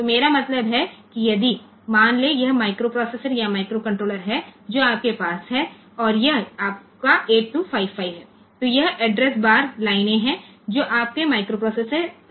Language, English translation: Hindi, So, what I mean is that if suppose, this is the microprocessor or microcontroller that you have and this is your 8255, then this address bar lines that are coming out from 8 from your microprocessor